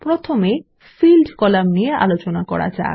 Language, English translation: Bengali, First, we will check the Field column